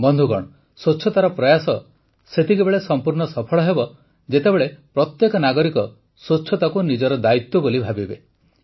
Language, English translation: Odia, the efforts of cleanliness can be fully successful only when every citizen understands cleanliness as his or her responsibility